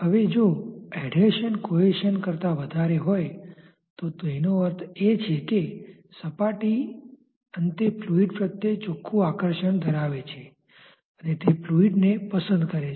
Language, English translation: Gujarati, Now, if the adhesion wins over the cohesion then that means, the surface at the end has a net attraction towards the fluid and it likes the fluid